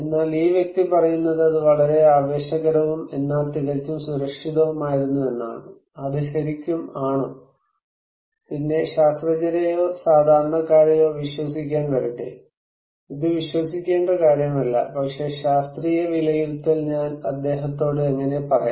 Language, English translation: Malayalam, But this person is saying that it was tremendously exciting but quite safe, is it really so, then come to believe the scientists or the general people, it is not a matter of believing, but how I have to tell him that scientific estimation is saying a different story